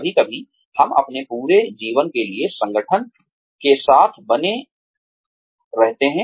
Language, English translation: Hindi, Sometimes, we stay, with the organization, for our entire lives